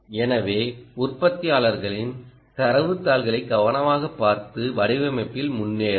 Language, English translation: Tamil, ok, so do look at the manufacturers data sheets carefully and go ahead with the design